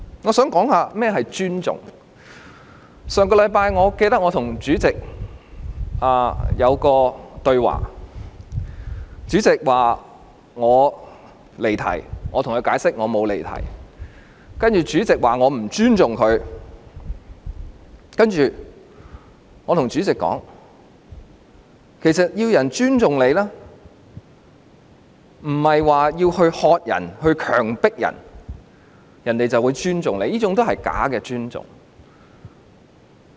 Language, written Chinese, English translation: Cantonese, 我記得上星期我和主席的對話，主席說我離題，我向他解釋我沒有離題，然後主席說我不尊重他，我告訴主席，要人尊重他，不是喝止或強迫對方，對方便會尊重，這是假尊重。, I remember the dialogue between the President and I last week . When the President said that I had digressed from the subject I explained to him that I had not; and then the President said that I did not respect him . I told the President that he could not gain the respect of other people by shouting at that person or forcing that person to show respect